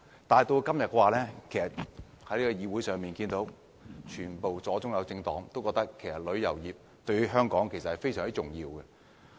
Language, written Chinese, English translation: Cantonese, 但今天，議會中的左、中、右政黨都同意旅遊業對香港非常重要。, But today Members from leftist centralist and rightist political parties all agree that the tourism industry is very important to Hong Kong